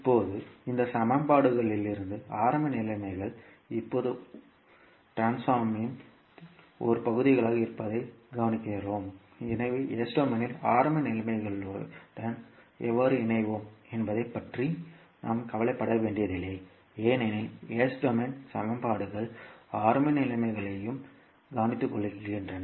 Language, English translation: Tamil, Now, from these equations we observe that the initial conditions are the now part of the transformation so we need not need not to worry about how we will incorporate with the initial conditions in s domain because the s domain equations take care of initial conditions also